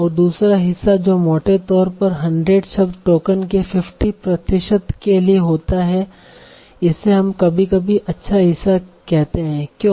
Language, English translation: Hindi, And the other part, that roughly 100 words account for 50% of the token, which we call sometimes a good part